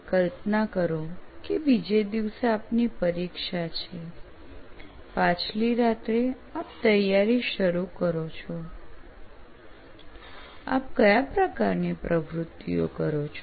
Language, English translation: Gujarati, Imagine you have an exam the next day, the previous night you are starting your preparation, what all kind of activities that you do